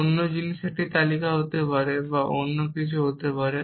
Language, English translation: Bengali, The other thing would be a list could be a something else